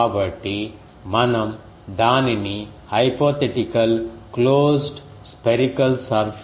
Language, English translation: Telugu, So, we will have to integrate it over a hypothetical closed spherical surface